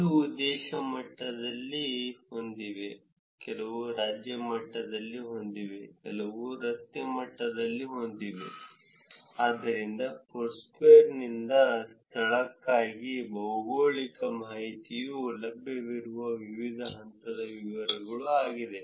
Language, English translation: Kannada, Some have at the country level, some have at the state level, some have at the street level, so that is the different level of details that the geographic information is available for the location from Foursquare